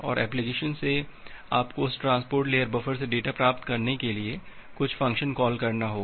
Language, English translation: Hindi, And from the application you have to make certain function call to get the data from that transport layer buffer